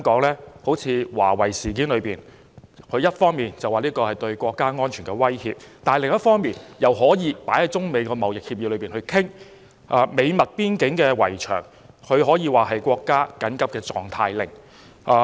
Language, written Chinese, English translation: Cantonese, 例如華為事件，它一方面說這是對國家安全的威脅，但另一方面又可以放在中美貿易協議裏商討；就美墨邊境圍牆，它可以頒布國家緊急狀態令。, For example in the case of Huawei US called it a threat to national security on the one hand but included it in the China - US trade talks on the other . In the case of the US - Mexico border wall US went so far as to issue a national emergency decree